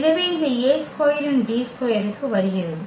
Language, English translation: Tamil, So, why this A square is coming D square